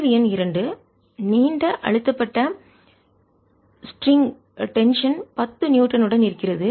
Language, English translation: Tamil, question number two says a long stressed string with tension, ten newtons